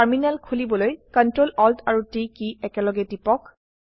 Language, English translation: Assamese, Press CTRL, ATL and T keys simultaneously to open the Terminal